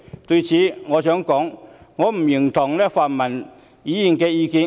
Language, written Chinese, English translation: Cantonese, 對此，我想說，我不認同泛民議員的意見。, In this regard I would like to say that I do not approve of such views held by the pan - democratic Members